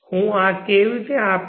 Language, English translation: Gujarati, how does this work